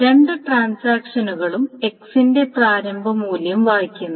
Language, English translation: Malayalam, So the same initial value of X is being read by both the transactions